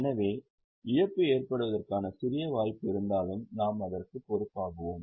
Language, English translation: Tamil, So, even if there is a slight possibility of a loss, we account for it